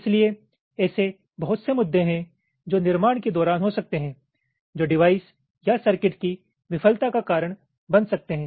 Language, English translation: Hindi, so there are lot of some issues which can take place during fabrication which might lead to the failure of the device or the circuits